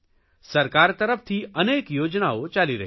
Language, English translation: Gujarati, The government is running many schemes